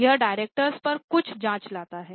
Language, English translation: Hindi, That brings in some check on the directors